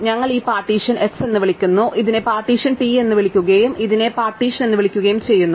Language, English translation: Malayalam, We call this partition s, call this the partition t and call this the partition u